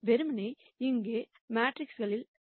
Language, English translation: Tamil, Simply plugging in the matrices here